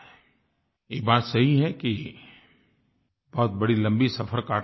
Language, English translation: Hindi, But it is true we still have a long way to go